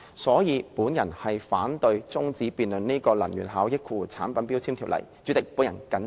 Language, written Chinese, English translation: Cantonese, 所以，我反對中止根據《能源效益條例》動議的擬議決議案辯論。, For this reason I oppose the adjournment of the debate on the proposed resolution moved under the Energy Efficiency Ordinance